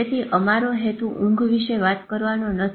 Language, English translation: Gujarati, So it is not about your sleep only